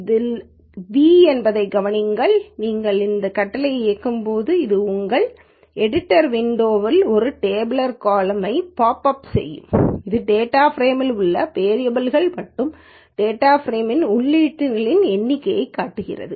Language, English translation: Tamil, Notice this is capital V and once you run this command it will pop up a tabular column in your editor window which shows the variables in the data frame and the number of entries in the data frame